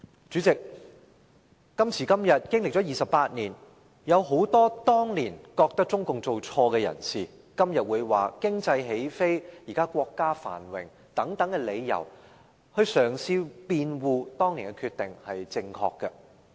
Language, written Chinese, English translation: Cantonese, 主席，今時今日，經歷了28年，有很多當年覺得中共做錯的人，今天會以國家現在經濟起飛和繁榮等理由，嘗試辯護當年的決定是正確的。, President nowadays after a lapse of 28 years many people who once disapproved of the decision made by the Communist Party of China CPC are now using excuses such as the economic take - off and prosperity of the country to try to justify that decision at the time